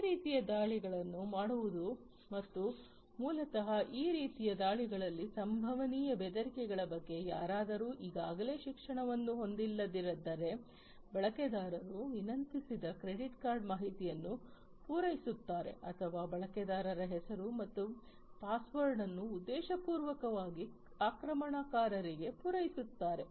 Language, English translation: Kannada, So, these kind of attacks are going to be made and that will basically if somebody is not already educated about the potential threats from these kind of attacks, then they will the user would supply the credit card information that is requested or supply the username and password to the attacker unintentionally and that way they will lose access to their system